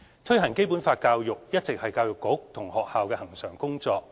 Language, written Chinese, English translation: Cantonese, 推行《基本法》教育一直是教育局及學校恆常的工作。, Promotion of Basic Law education has been a regular task of the Education Bureau and schools